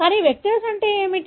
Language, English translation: Telugu, So, what are vectors